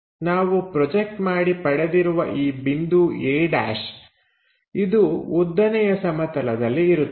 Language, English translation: Kannada, Whatever the thing we have projected that point a’ on the vertical plane